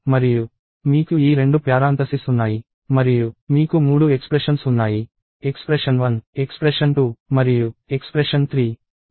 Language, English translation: Telugu, And you have these two parenthesis and you have three expressions: expression 1, expression 2, and expression 3